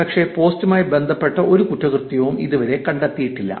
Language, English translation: Malayalam, And till date no crime has ever been found associated with that post